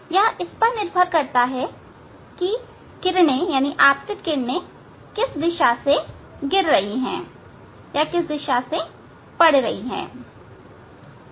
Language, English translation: Hindi, it depends on the in which direction light is following falling